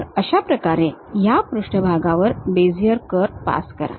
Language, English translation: Marathi, So, pass a surface a Bezier curve in that way